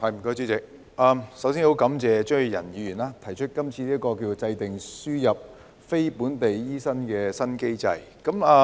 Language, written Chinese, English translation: Cantonese, 首先，我很感謝張宇人議員提出"制訂輸入非本地培訓醫生的新機制"議案。, First I would like to thank Mr Tommy CHEUNG for proposing the motion on Formulating a new mechanism for importing non - locally trained doctors